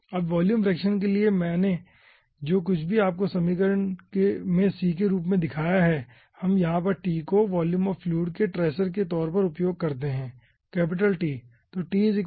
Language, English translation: Hindi, okay, now ah for volume fraction, whatever i have shown you in the equation, as c we use a tracer ah of volume of fluid, as t, over here capital t